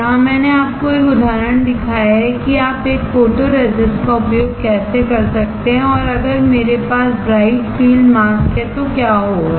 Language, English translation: Hindi, Here, I have shown you an example how you can use a photoresist and if I have a bright field mask what will happen